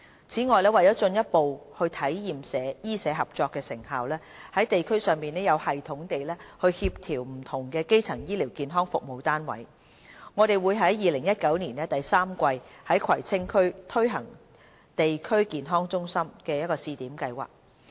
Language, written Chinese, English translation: Cantonese, 此外，為進一步體驗醫社合作的成效，在地區上有系統地協調不同的基層醫療健康服務單位，我們會於2019年第三季在葵青區推行地區康健中心試點計劃。, Besides to further give play to the effectiveness of medical - social collaboration and coordinate primary health care service units at the district level in a systemic manner we will launch the District Health Centre Pilot Project in Kwai Tsing District in the third quarter of 2019 . Government funding will be provided to the centre on the basis of the needs and characteristics of the district